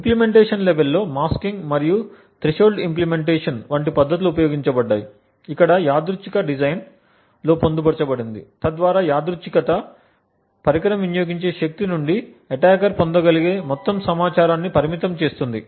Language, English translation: Telugu, At the implementation level techniques such as masking and threshold implementations have been used where randomization has been incorporated into the design so that where the randomness limits the amount of information that the attacker can gain from the power consumed by the device